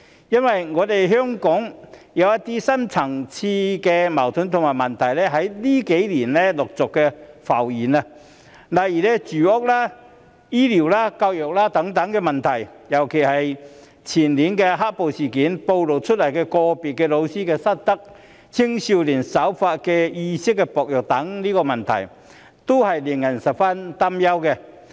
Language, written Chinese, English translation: Cantonese, 因為香港有一些深層次矛盾和問題在近幾年陸續浮現，例如住屋、醫療、教育等問題，尤其是前年"黑暴"事件所暴露的個別教師失德、青少年守法意識薄弱等問題，均令人十分擔憂。, I support the motion because some deep - seated conflicts and problems have surfaced in Hong Kong in recent years such as housing healthcare education and so on especially the problems of unethical teachers and the weak law - abiding awareness among young people in Hong Kong as revealed in the black - clad violence in the year before last year and all of these are very worrying